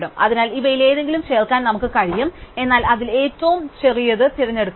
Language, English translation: Malayalam, So, we can add any of these, but we choose the smallest one